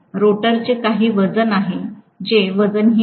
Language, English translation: Marathi, The rotor has some weight; it is not weightless